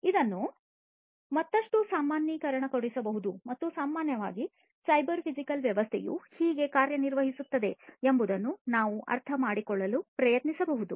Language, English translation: Kannada, So, this could be generalized further and we can try to understand how, in general, a cyber physical system is going to work